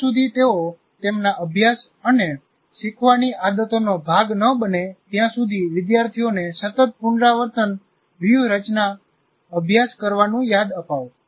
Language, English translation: Gujarati, Remind students to continuously practice rehearsal strategies until they become regular parts of their study and learning habits